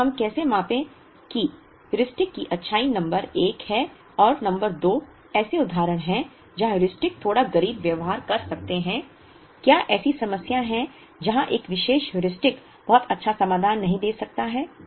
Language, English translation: Hindi, Then how do we measure the goodness of the Heuristic is number 1 and number 2 is are there instances where the Heuristic can behave slightly poor, are there problem instances where a particular Heuristic may not give a very good solution